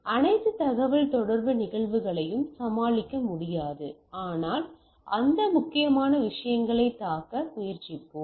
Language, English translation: Tamil, So, it would not be possible to deal with all communication phenomenon, but we will try to hit on those important stuff